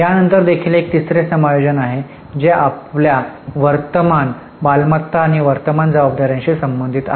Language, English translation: Marathi, After this also there is a third adjustment that is related to your current assets and current liabilities